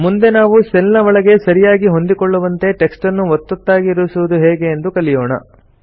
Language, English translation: Kannada, Next we will learn how to shrink text to fit into the cell